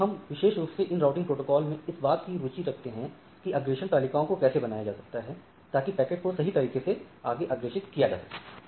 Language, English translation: Hindi, So, we are primarily interested in this routing protocols is how these tables are will be generated so that the packets can be forwarded correct